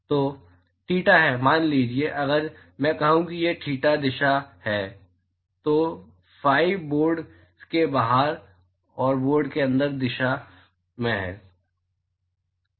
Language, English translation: Hindi, So, theta is, suppose if I say this is the theta direction then phi is in the direction outside the board and inside the board